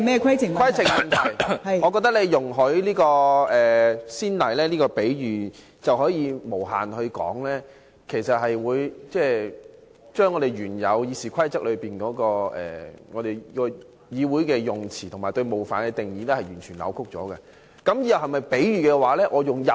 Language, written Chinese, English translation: Cantonese, 規程問題，我覺得你容許這個先例，這個比喻便能無限說下去，便會把《議事規則》中，議會的用詞和對冒犯的定義完全扭曲了。, A point of order I think if you set this as a precedent this metaphor can be mentioned many times in the following debate and this will totally distort the definitions in the Rules of Procedure on the expressions and offensive language used in the Council